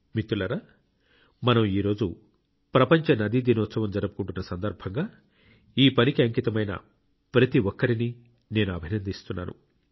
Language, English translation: Telugu, when we are celebrating 'World River Day' today, I praise and greet all dedicated to this work